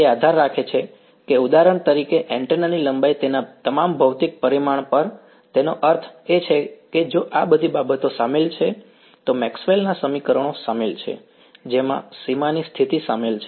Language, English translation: Gujarati, It should depend, for example, on the length of the antenna all of the physical parameter of it; that means, if all of these things are involved, Maxwell’s equations are involved boundary conditions are involved